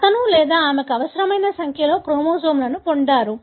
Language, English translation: Telugu, He or she has got the required number of the chromosomes